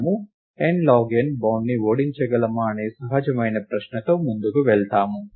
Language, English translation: Telugu, We go forward with the very natural question of can we beat the n log n bound